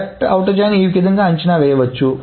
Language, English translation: Telugu, The estimate of left outer join is the following